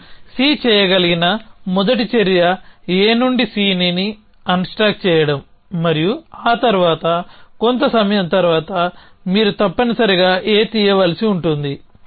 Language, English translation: Telugu, So, the first action that we can C is unstacking C from A and sometime after that you must have pick up A